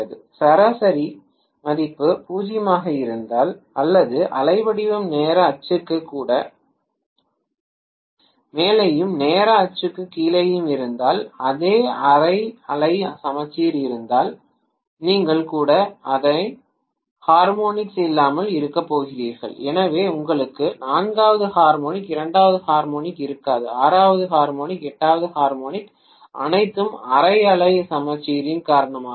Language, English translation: Tamil, If the average value is 0 or the waveform has above the time axis and below the time axis if it has the same half wave symmetry then you are going to have all the even harmonics being absent, so you will not have fourth harmonic, second harmonic, sixth harmonic, eighth harmonic all of them are absent because of half wave symmetry